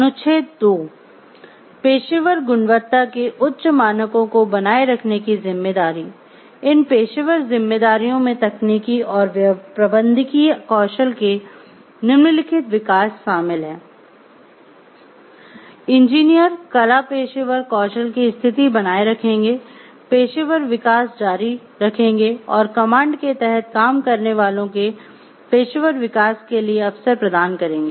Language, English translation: Hindi, Article 2; responsibility to maintain high standards of professional quality, these professional responsibilities include the following: development of technical and managerial skills, engineers shall maintain state of the art professional skills continued professional development and provide opportunity for the professional development of those working under the command